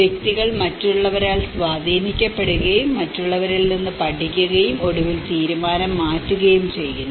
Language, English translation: Malayalam, Individuals are influenced by others, learn from others and eventually, change the decision